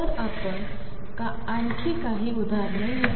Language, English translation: Marathi, So, let me just write some more examples